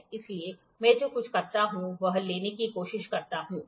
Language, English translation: Hindi, So, what I do is I try to take